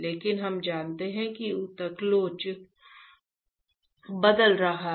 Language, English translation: Hindi, But we know that the tissue elasticity is changing